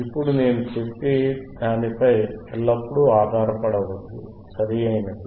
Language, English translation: Telugu, Now do not always rely on whatever I am saying, right